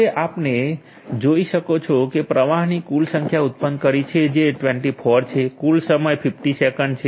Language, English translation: Gujarati, So, we have generated the total number of flows which is 24, total time is 50 seconds